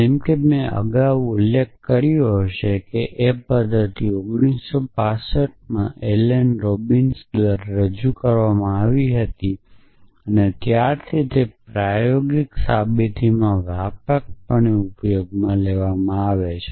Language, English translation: Gujarati, So, as my might have mentioned earlier it was the method which was introduced by Alan Robinson in 1965 and since then it has been used extensively in theorem proving